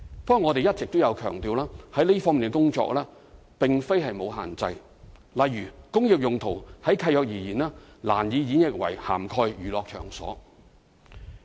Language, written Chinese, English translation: Cantonese, 不過，我們一直強調這方面的工作並非沒有限制，例如"工業"用途就契約而言，難以演繹為涵蓋娛樂場所。, But as we always emphasize this is not without restrictions . For example as far as land leases are concerned it is difficult to interpret industrial land use to cover places of entertainment